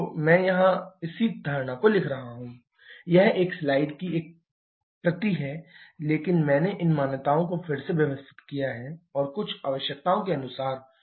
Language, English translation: Hindi, I am writing the same assumptions here, is a copy of the same slide, but I have reordered these assumptions and to suite some requirements